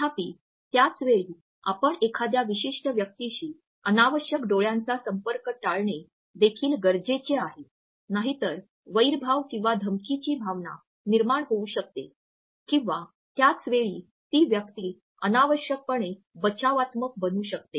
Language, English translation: Marathi, However, at the same time it is important that we avoid unnecessarily extended eye contact with a particular person as too long is there may generate a perception of hostility or threat or at the same time may make the person unnecessarily defensive